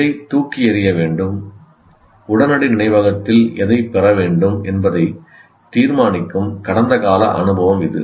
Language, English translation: Tamil, So it is a past experience that decides what is to be thrown out and what should get into the immediate memory